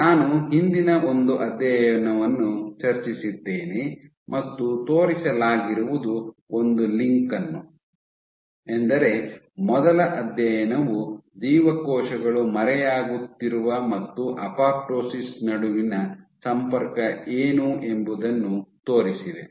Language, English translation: Kannada, So, what was shown is the link the first one of the first studies what it showed was the linkage between cells fading and apoptosis ok